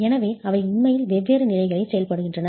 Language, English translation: Tamil, So, they are actually operating at different levels